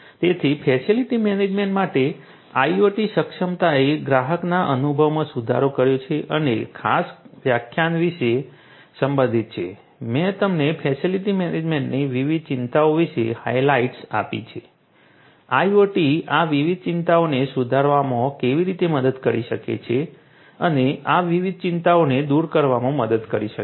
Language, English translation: Gujarati, So, IoT enablement for facility management improved customer experience and so on this is what this particular lecture concerned about, I have told you about the different I have given you highlights about the different concerns in facility management, how IoT can help in improving these different concerns, addressing these different concerns and so on